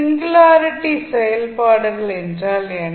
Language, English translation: Tamil, What is singularity functions